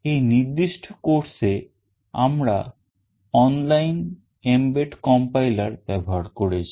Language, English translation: Bengali, In this particular course we have used this online mbed compiler